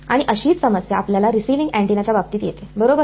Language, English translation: Marathi, And similar problem comes in the case of your receiving antenna right